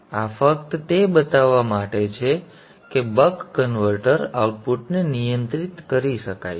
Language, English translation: Gujarati, So this is just to show that the buck converter output can be regulated